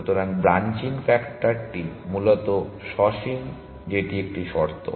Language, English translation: Bengali, So, the branching factor is finite essentially that is one condition